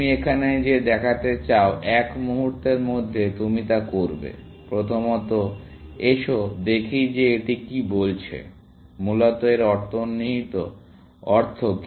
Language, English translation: Bengali, You want to show that, you will do that in a moment, First, let us look at that what this is saying; what is the implication of this, essentially